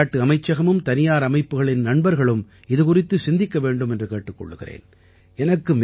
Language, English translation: Tamil, I would urge the Sports Ministry and private institutional partners to think about it